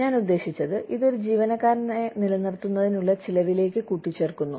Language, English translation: Malayalam, And, I mean, it adds to the cost, of the retaining an employee